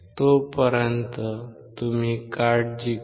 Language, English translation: Marathi, Till then, you take care